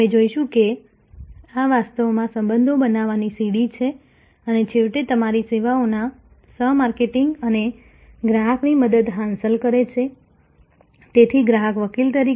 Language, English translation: Gujarati, We will see that this is actually a stairway to forming relationships and ultimately achieving the customer's help for co marketing your services, so customer as advocate